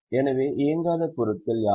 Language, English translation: Tamil, So, what are the non operating items